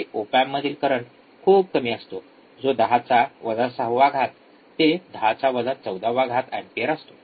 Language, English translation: Marathi, Op amps the input currents are very small of order of 10 is to minus 6 to 10 is to minus 14 ampere